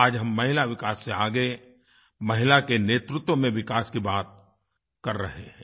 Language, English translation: Hindi, Today the country is moving forward from the path of Women development to womenled development